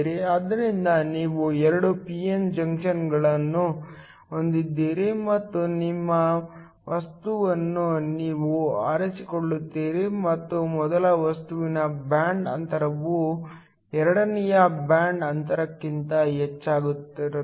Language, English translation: Kannada, So, you have two p n junctions and you choose your material in such a way that the band gap of the first material is greater than the band gap of the second